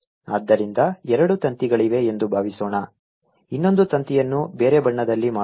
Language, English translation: Kannada, right, let me make the other string in a different color